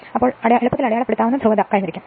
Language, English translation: Malayalam, Then you will get you can easily make it polarity everything is marked